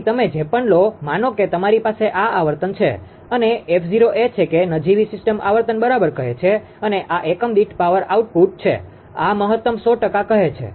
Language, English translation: Gujarati, So, whatever, whatever you take, suppose you have a this is a frequency this is the frequency and f 0 is that nominal system frequency say right and this is the power output in per unit this is the maximum say 100 percent